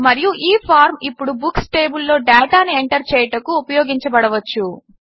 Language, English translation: Telugu, And this form, now, can be used to enter data into the Books table